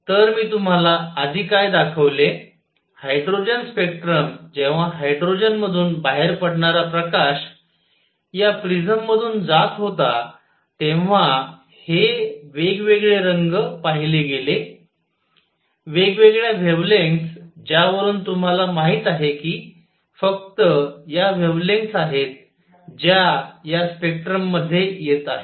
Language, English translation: Marathi, So, what I showed you earlier, the hydrogen spectrum when the light coming out of hydrogen was passed through this prism one saw these different colors, different wavelengths that is how you know only these wavelengths come in this is spectrum